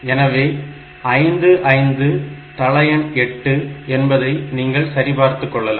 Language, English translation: Tamil, So, 55 to the base 8, you can verify it